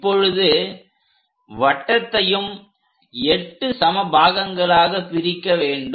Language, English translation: Tamil, Now divide the circle into 8 equal parts 4 parts are done